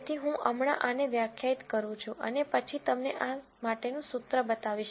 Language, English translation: Gujarati, So, I am just going to de ne this and then going to show you the formula for this